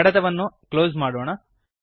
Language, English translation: Kannada, Now lets close this file